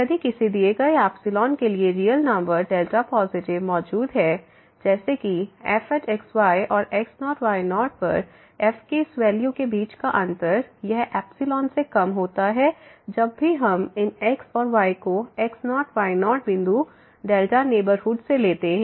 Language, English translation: Hindi, If for a given epsilon there exist a real number delta positive; such that this difference between and this value of at less than epsilon whenever these and ’s if we take from the delta neighborhood of naught naught point